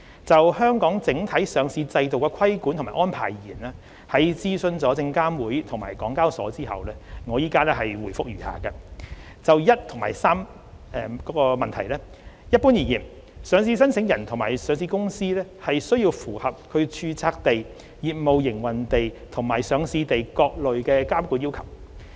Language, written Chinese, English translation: Cantonese, 就香港整體上市制度的規管及安排而言，在諮詢證券及期貨事務監察委員會及港交所後，我現回覆如下：一及三一般而言，上市申請人及上市公司須符合其註冊地、業務營運地，以及上市地的各類監管要求。, As far as the regulatory framework under Hong Kongs overall listing regime is concerned having consulted the Securities and Futures Commission SFC and HKEX my reply is as follows 1 and 3 Generally speaking listing applicants and listed companies have to comply with the respective regulatory requirements of its place of incorporation place of business operation and place of listing